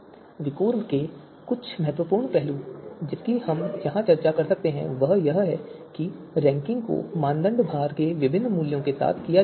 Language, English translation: Hindi, So few important aspect of VIKOR that we can discuss here is that ranking may be performed with different values of criteria weights